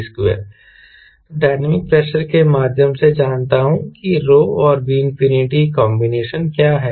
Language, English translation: Hindi, so i know, through dynamic pressure what is the combination of row and v infinity